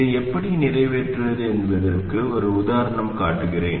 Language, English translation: Tamil, I will show you one example of how to accomplish this